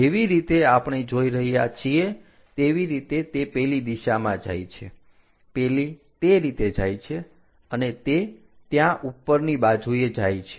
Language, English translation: Gujarati, Similarly, this line we will see it as that there is going in that direction that goes in that way and it goes up comes there